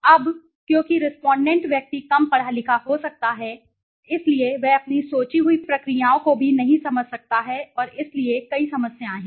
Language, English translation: Hindi, Now because the person the respondent might be less educated he might not understand your thought processes as well so and so there are several problems right